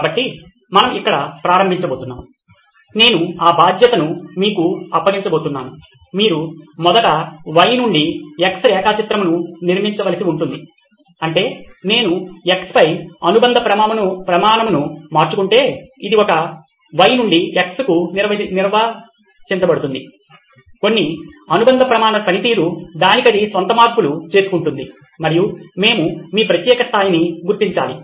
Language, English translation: Telugu, So we are going to start here, I am going to hand it off to you, you will have to first of all, build a Y to X plot, which is, if I change a parameter on the X, which is how a Y to X is defined, some performance parameter changes on its own and that’s we need to figure out for your particular level